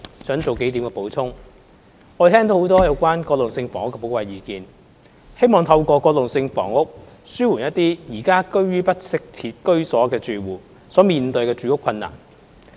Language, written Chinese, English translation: Cantonese, 我們聽到很多有關過渡性房屋的寶貴意見，希望透過過渡性房屋紓緩一些現時居於不適切居所的住戶所面對的住屋困難。, We have listened to many Members expressing their valuable advice on transitional housing . They hope that people living in inadequate housing conditions can alleviate their housing difficulties through transitional housing